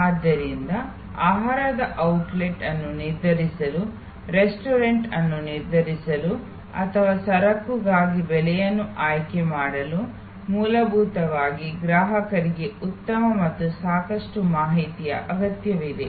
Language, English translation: Kannada, So, to decide on a food outlet, to decide on a restaurant or to choose a price for a commodity, fundamentally the customer needs good and enough sufficient information